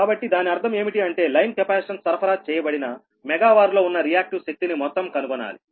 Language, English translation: Telugu, so that means you have to find out the total reactive power in megavar supplied by the line capacitance